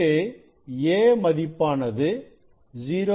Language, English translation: Tamil, 2 this a is 0